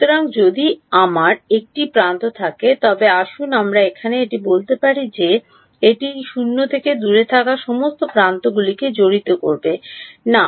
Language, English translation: Bengali, So, if I have a edge let us say over here this is not going to involve the edges far away those all going to be 0 we have seen that right